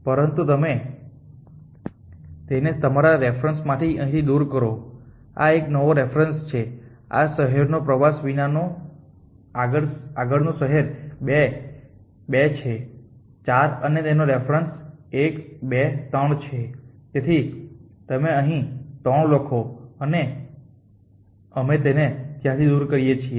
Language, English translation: Gujarati, But your know this from here reference here new reference is the reference without the city 2 the next city in your 2 are is 4 and its reference is 1 2 3 so you right 3 here and we remove that from there